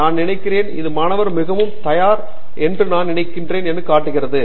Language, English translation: Tamil, I think this is something it shows that the student is not very prepared I think